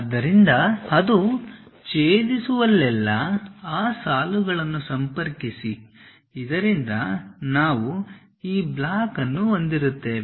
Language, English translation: Kannada, So, wherever it is intersecting connect those lines so that, we will have this block